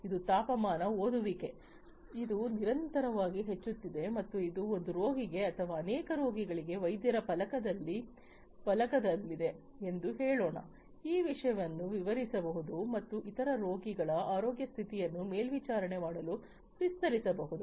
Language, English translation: Kannada, This is the temperature reading, this is continuously increasing and let us say that, this is at the doctors panel for one patient or for many patients also this thing can be extended and can be scaled up to monitor the health condition of different other patients